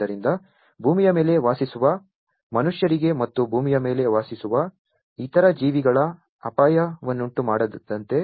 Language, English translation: Kannada, So, as not to risk the individuals the humans living on the earth, and other organisms living on the earth